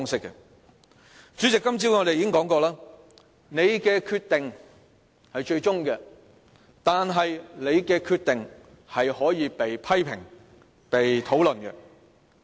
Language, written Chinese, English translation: Cantonese, 主席，我們今天早上已討論過，你的決定是最終決定，但你的決定是可以被批評、被討論。, President as we said in the discussion this morning your rulings are certainly final but that does not mean that they cannot be criticized and discussed